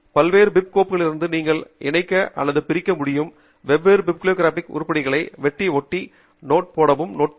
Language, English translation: Tamil, you can also use the notepad to cut and paste a different bibliographic items from different bib files that you may want to combine or split